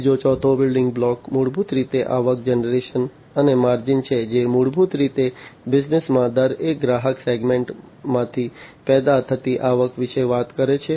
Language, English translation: Gujarati, The fourth building block is basically the revenue generation and the margins, which basically talks about the revenue that is generated from each customer segment in the business